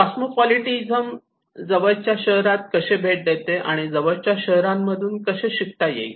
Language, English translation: Marathi, And cosmopolitaness is how visiting the nearest city, how you learn from the nearest cities